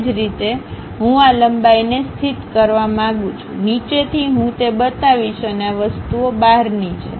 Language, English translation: Gujarati, Similarly I want to really locate this length; all the way from bottom I will show that and these are outside of the things